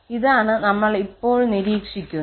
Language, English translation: Malayalam, This is what we will observe now